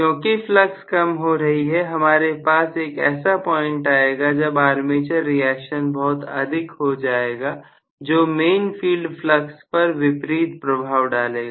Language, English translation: Hindi, So, because the flux is decreasing, I am going to have at some point, the armature reaction taking a heavy toll, on the main field flux itself